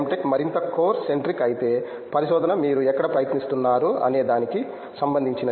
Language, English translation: Telugu, Tech is more core centric whereas research is where you are trying out things